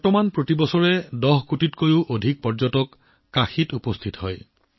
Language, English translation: Assamese, Now more than 10 crore tourists are reaching Kashi every year